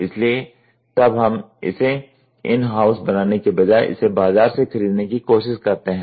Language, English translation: Hindi, So, then what we do is rather than in house manufacturing we try to buy it from the market